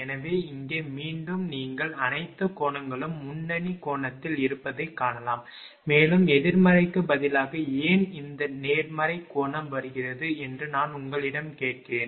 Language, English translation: Tamil, So, here again you can see that all the angles are leading angle and I ask you also that why instead of negative, why this positive angle is coming